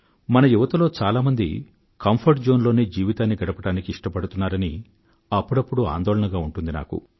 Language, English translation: Telugu, I am sometimes worried that much of our younger generation prefer leading life in their comfort zones